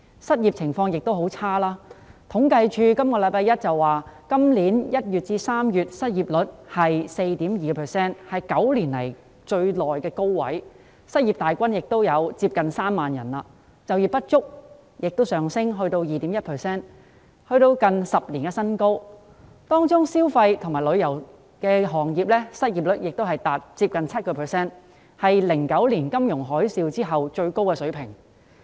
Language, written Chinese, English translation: Cantonese, 失業情況同樣轉差，政府統計處於本周一公布今年1月至3月的失業率是 4.2%， 是9年來的高位，失業大軍接近3萬人，就業不足率亦上升至 2.1%， 是近10年的新高，當中消費及旅遊業的失業率亦接近 7%， 是2009年金融海嘯後的最高水平。, Similarly the unemployment situation has also deteriorated . On Monday the Census and Statistics Department announced that the unemployment rate between January and March this year was 4.2 % the highest in nine years with the number of unemployed persons approaching 30 000 . The underemployment rate has also risen to 2.1 % the highest in nearly a decade in which the unemployment rate of the consumption - and tourism - related sectors have increased to nearly 7 % the highest since the financial tsunami in 2009